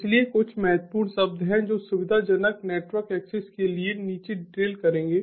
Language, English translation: Hindi, so there are few key words that will drill down for the convenient network access